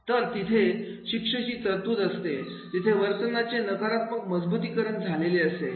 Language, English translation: Marathi, So, if the punishment is there, then there will be the negative reinforcement behavior